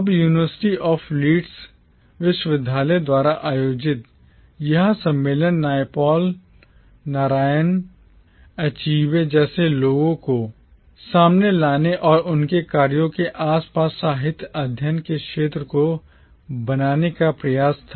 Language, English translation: Hindi, Now this conference organised by the University of Leeds was an attempt to bring authors like Naipaul, Narayan, Achebe to the fore and to form a field of literary studies around their works